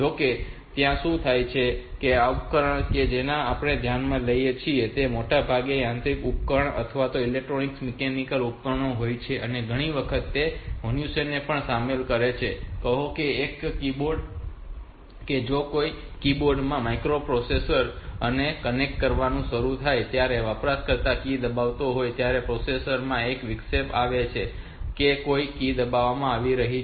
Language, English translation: Gujarati, These devices that we are considering they are most of the time they are mechanical device or electro mechanical devices and many a times they involve human being like; say, there is a keyboard if i connect keyboard to the microprocessor then when the user is pressing a key may be the interrupt is given in the processer that the key that a key has been pressed